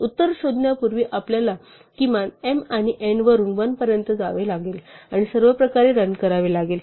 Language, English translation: Marathi, So again, we have to run all the way back from minimum of m and n back to 1 before we find the answer